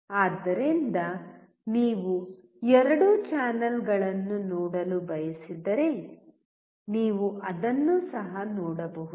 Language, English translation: Kannada, So, if you want to see both the channels you can see that as well